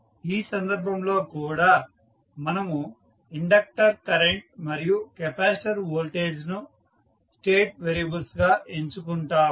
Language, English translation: Telugu, In this case also we select inductor current and capacitor voltage as the state variables